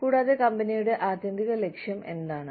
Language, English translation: Malayalam, And, what the ultimate goal of the company is